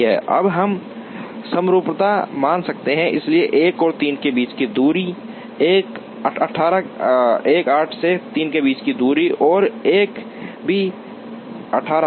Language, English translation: Hindi, Now, we can assume symmetry, so distance between 1 and 3 is 18 distance between 3 and 1 is also 18